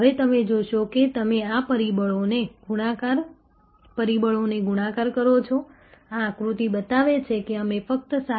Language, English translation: Gujarati, Now, you see if you multiply these factors; that is what this diagram shows, we land up with only 7